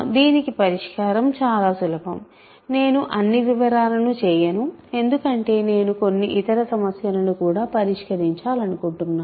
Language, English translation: Telugu, The solution for this is very easy, I will not do all the details because I have I want to do some other problems also